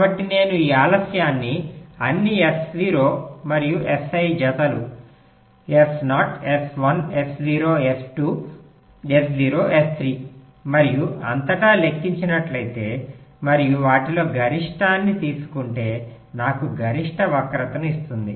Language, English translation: Telugu, so if i calculate this delay across all, s zero and s i pairs, s zero, s one s zero, s two, s zero, s three and so on, and take the maximum of them, that will give me the maximum skew, right